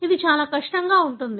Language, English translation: Telugu, It is going to be extremely difficult